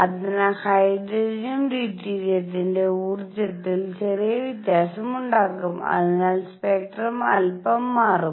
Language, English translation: Malayalam, And therefore, there will be slightly slight difference in the energy of hydrogen deuterium and therefore, spectrum would shift a bit and that would